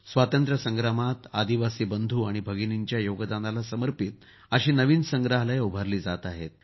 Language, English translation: Marathi, Ten new museums dedicated to the contribution of tribal brothers and sisters in the freedom struggle are being set up